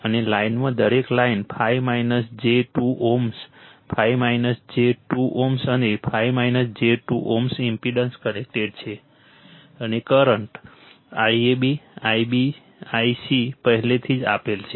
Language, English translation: Gujarati, And in the line each line 5 minus j 2 ohm, 5 minus j 2 ohm and 5 minus j 2 ohm impedance connected and current I a I b I c already given right